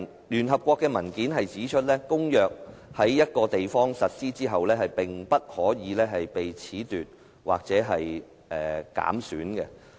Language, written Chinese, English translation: Cantonese, 聯合國的文件指出，公約在一個地方實施後，便不可以被褫奪或減損。, As pointed out by the document of the United Nations a treaty once implemented at a place cannot be scrapped or undermined